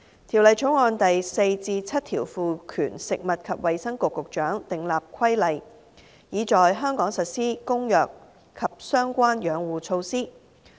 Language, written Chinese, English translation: Cantonese, 《條例草案》第4至7條賦權食物及衞生局局長訂立規例，以在香港實施《公約》及相關養護措施。, Clauses 4 to 7 of the Bill seek to set out the regulation - making powers of the Secretary for Food and Health for implementing in Hong Kong the Convention and the relevant conservation measures